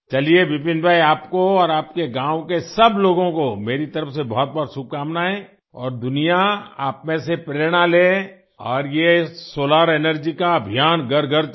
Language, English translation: Hindi, Fine, Vipin Bhai, I wish you and all the people of your village many best wishes and the world should take inspiration from you and this solar energy campaign should reach every home